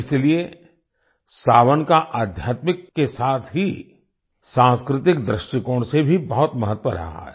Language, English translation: Hindi, That's why, 'Sawan' has been very important from the spiritual as well as cultural point of view